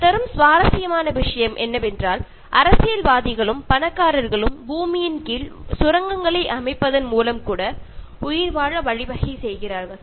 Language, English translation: Tamil, And the interesting point that it makes is that, the politicians and the rich will find means to survive even by making tunnels under the earth